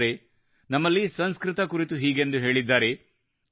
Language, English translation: Kannada, Friends, in these parts, it is said about Sanskrit